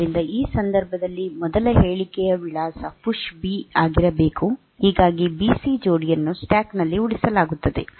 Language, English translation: Kannada, So, if this is the address for the first statement in this case should be a PUSH B so that the B C pair will be saved onto the stack